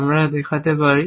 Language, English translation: Bengali, Can we show in